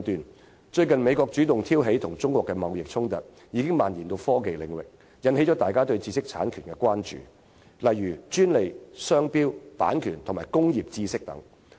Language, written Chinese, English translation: Cantonese, 美國最近主動挑起與中國的貿易衝突，並已蔓延至科技領域，引起大家對知識產權的關注，例如專利、商標、版權和工業知識等。, The trade dispute recently started by the United States against China has spread to the technology domain . This has aroused peoples concern about intellectual property rights such as patents trademarks copyrights and industry knowledge